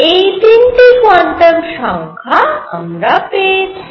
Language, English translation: Bengali, So, it gave the quantum conditions, gave 3 quantum numbers